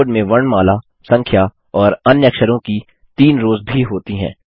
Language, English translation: Hindi, The keyboard also has three rows of alphabets, numerals and other characters